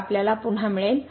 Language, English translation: Marathi, So, again we get